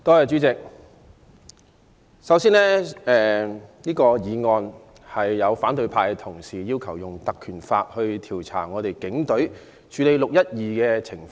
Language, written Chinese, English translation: Cantonese, 主席，反對派議員根據《立法會條例》動議議案，要求調查警隊處理"六一二"事件的情況。, President opposition Members have moved motions under the Legislative Council Ordinance to request an inquiry into police handling of the 12 June incident